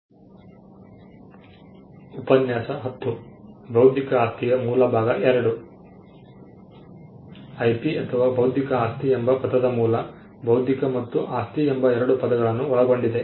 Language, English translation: Kannada, Origin of the term IP or intellectual property; Intellectual property comprises of two words intellectual and property